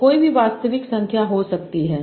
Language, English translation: Hindi, They can be any real numbers